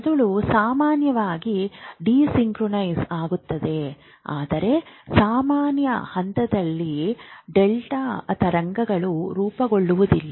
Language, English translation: Kannada, The brain normally is desynchronized but in normal stage you do not have a delta waves